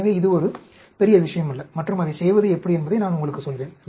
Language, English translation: Tamil, So, it is not a big deal, and I will also tell you how to go about doing that